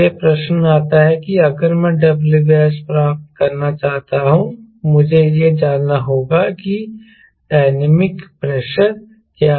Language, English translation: Hindi, so comes, if i want to get w by s, i i need to know what is the dynamic pressure